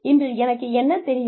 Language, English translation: Tamil, What do I know today